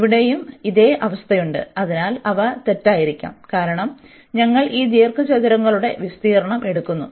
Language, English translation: Malayalam, Here also the same situation, so they could be in error, because we are taking the area of these rectangles